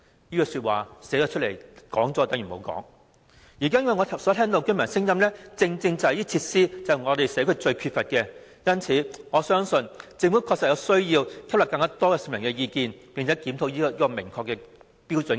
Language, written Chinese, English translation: Cantonese, 根據居民的意見，社區正是最缺乏這些設施。因此，我相信政府確實有需要吸納更多市民的意見，並且檢討《規劃標準》。, According to the residents these facilities are most in need of in the community so I believe the Government really needs to take on board more public views and review HKPSG